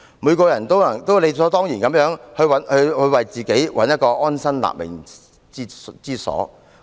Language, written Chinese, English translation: Cantonese, 每個人都理所當然地想為自己找尋安身立命之所。, It is natural that everyone wants to seek a place where they can settle down and get on with their pursuit